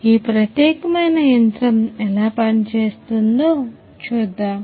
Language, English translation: Telugu, So, let us have a look at how this particular machine functions